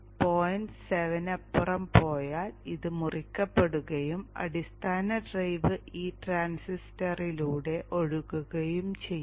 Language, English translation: Malayalam, 7 this will cut in and the base drive will flow through this transistor